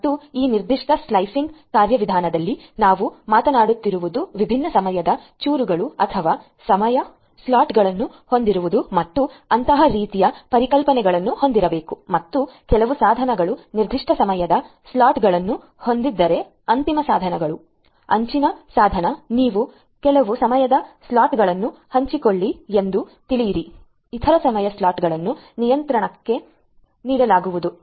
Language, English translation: Kannada, And in this particular slicing mechanism what we are talking about is to have different time slices or time slots similar kind of concepts like that and have certain devices have certain time slots the end devices edge device you know share certain time slots the other time slots will be given to the controller